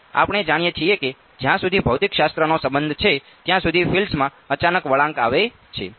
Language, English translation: Gujarati, So, we know that that as far as physics is concerned there is an abrupt turns on the field